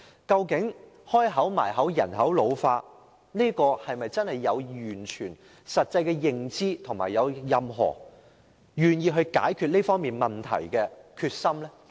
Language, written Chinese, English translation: Cantonese, 雖然政府口口聲聲表示人口老化嚴重，但政府有否完全的實際認知，以及有否任何願意解決這問題的決心呢？, The Government has claimed that population ageing is serious . But does it have any comprehensive or actual awareness of this problem? . And has it shown any willingness or determination to resolve this problem?